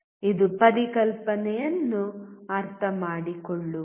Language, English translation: Kannada, It is all about understanding the concept